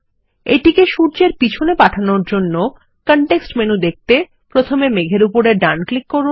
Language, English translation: Bengali, To send it behind the sun, right click on the cloud for the context menu